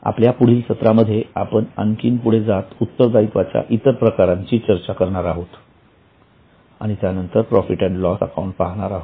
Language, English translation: Marathi, In our next session we will go ahead and go into further some more types of liabilities and then into profit and loss account